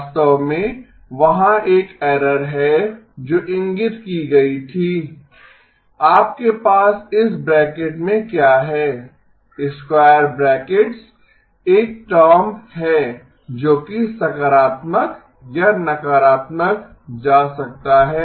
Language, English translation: Hindi, Actually, there is one error that was pointed out, what you have within this bracket, the square brackets is a term that can go positive or negative